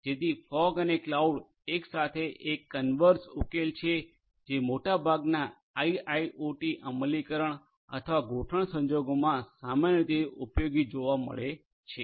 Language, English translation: Gujarati, So, fog and cloud together a converse solution is what is typically useful and is found useful in most of these IIoT implementation or deployment scenarios